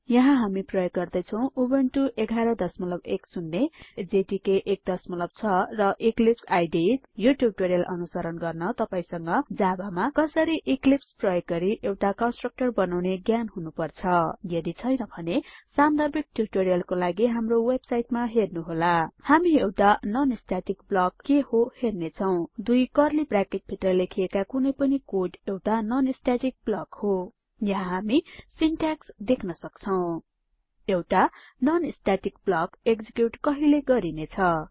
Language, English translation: Nepali, Here we are using Ubuntu version 11.10 Java Development Environment jdk 1.6 And Eclipse IDE 3.7.0 To follow this tutorial you must know How to create a constructor in Java using Eclipse If not, for relevant tutorials please visit our website which is as shown, (http://www.spoken tutorial.org) Now we will see what a non static block is